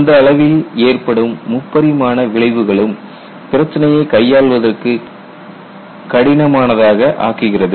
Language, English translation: Tamil, You will also have three dimensional effects at that scale which also makes the problem difficult to handle